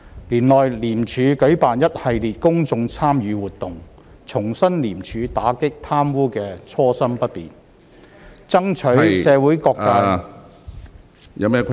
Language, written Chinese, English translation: Cantonese, 年內，廉署舉辦一系列公眾參與活動，重申廉署打擊貪污的初心不變，爭取社會各界......, In this year ICAC organized an array of activities to rekindle its commitment to the fight against corruption and enlist the continued support of all sectors of society